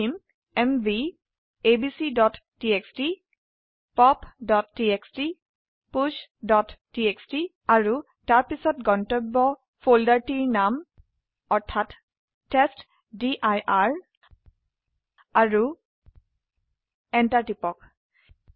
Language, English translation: Assamese, What we need to do is type mv abc.txt pop.txt push.txt and then the name of the destination folder which is testdir and press enter